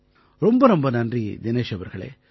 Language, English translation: Tamil, Many thanks Dinesh ji